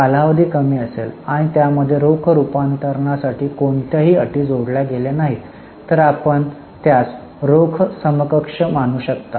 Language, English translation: Marathi, If the time period is short and there are no conditions attached for its conversion into cash, then you can consider it as a cash equivalent